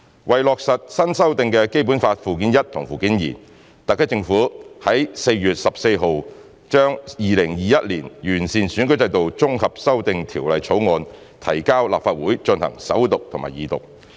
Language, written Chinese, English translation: Cantonese, 為落實新修訂的《基本法》附件一和附件二，特區政府在4月14日將《2021年完善選舉制度條例草案》提交立法會進行首讀和二讀。, To implement the amended Annex I and Annex II to the Basic Law the HKSAR Government introduced the Improving Electoral System Bill 2021 the Bill into the Legislative Council for First Reading and Second Reading on 14 April